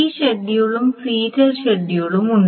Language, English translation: Malayalam, So these are the two serial schedules